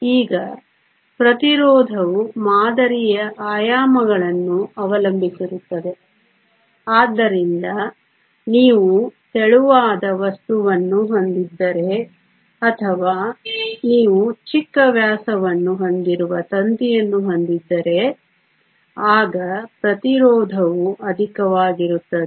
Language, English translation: Kannada, Now, resistance depends upon the dimensions of the sample, so if you have a thinner material or if you have a wire with a smaller diameter, then the resistance is higher